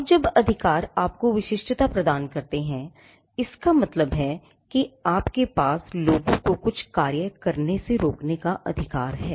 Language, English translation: Hindi, Now, when rights offer you exclusivity; it means that you have a right to stop people from doing certain acts